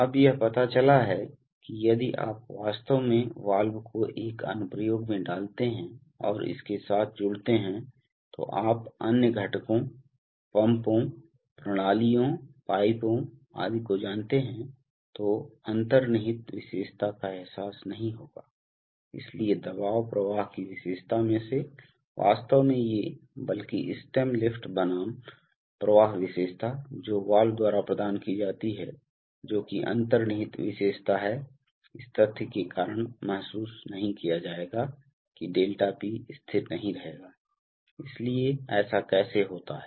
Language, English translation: Hindi, Now it turns out one must realize that if you actually put the valve into an application and connect it up with, you know other components, pumps, systems, pipes etc then the inherent characteristic will not be realized, so the pressure flow characteristic of the, of the, actually these, rather the stem lift versus flow characteristic of the valve which is provided by the manufacturer, which is the inherent characteristic will not be realized because of the fact that ∆P will not remain constant, so how does that happen